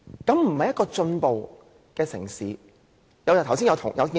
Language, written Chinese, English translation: Cantonese, 這是一個進步城市應有的表現嗎？, Should an advanced city behave like this?